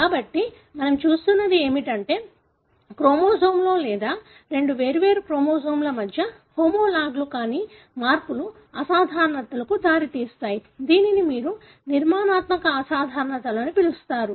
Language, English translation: Telugu, So, what we are looking at is that how changes within a chromosome or between two different chromosomes, which are not homologues, can result in abnormalities, which you call as structural abnormalities